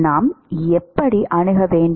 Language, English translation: Tamil, How should we approach